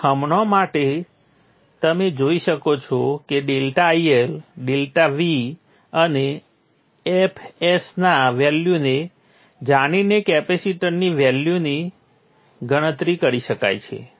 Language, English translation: Gujarati, So for now you can see that the capacitor value can be calculated knowing the value of delta iL, delta v and f s